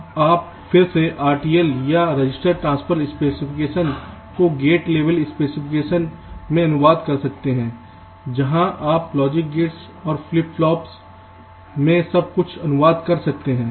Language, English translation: Hindi, now again, in the next step you can translate this r t l or register transfer levels specification to gate level specification, where you translate everything into basic logic gates and flip flops